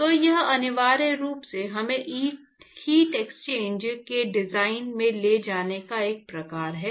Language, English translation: Hindi, So, this is the essentially sort of taking us to the design of heat exchangers